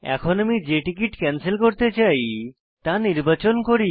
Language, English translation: Bengali, We will now see how to cancel a ticket